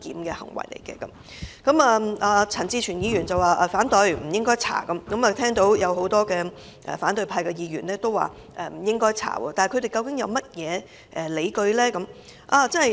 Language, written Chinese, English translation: Cantonese, 就此，陳志全議員和多位反對派議員均表示不應該調查。但他們究竟有甚麼理據呢？, In this connection Mr CHAN Chi - chuen and many Members from the opposition camp say that an investigation is not warranted but what grounds do they have?